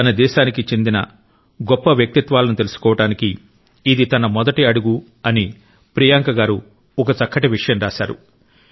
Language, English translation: Telugu, Priyanka ji has beautifully mentioned that this was her first step in the realm of acquainting herself with the country's great luminaries